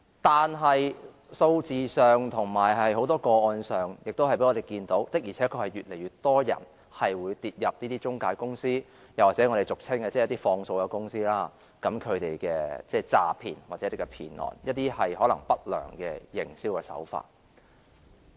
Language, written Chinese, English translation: Cantonese, 但是，從數字及很多個案看來，的確是有越來越多人跌入這些中介公司或俗稱"放數公司"的詐騙陷阱，或成為這些公司不良營銷手法的受害人。, But from the figures and many cases we can see that indeed more and more people have been caught in these traps of fraud by financial intermediaries which are commonly referred to as usurers or become victims of the unscrupulous business practices of these companies